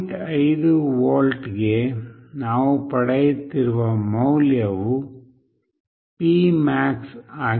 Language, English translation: Kannada, 5 volt the value we are getting is P max